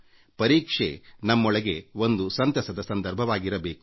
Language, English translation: Kannada, Exams in themselves, should be a joyous occasion